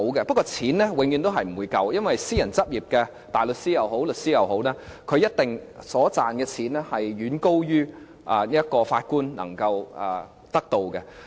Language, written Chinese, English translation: Cantonese, 不過金錢永遠都是不足的，因為私人執業大律師也好，律師也好，他們賺的錢一定遠高於法官能夠得到的。, However this money is forever falling behind because the money earned by private practitioners in both branches of the legal profession is surely far more than those earned by judges